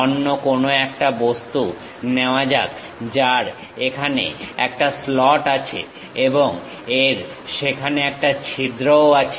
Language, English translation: Bengali, Let us take some other object, having a slot here and it has a hole there also